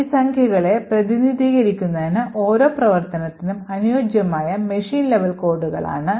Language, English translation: Malayalam, What these numbers actually represent are the machine level codes corresponding to each of these functions